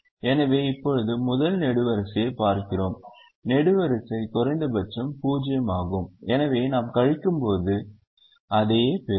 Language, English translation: Tamil, we look at the second column: the column minimum is zero and we will get the same numbers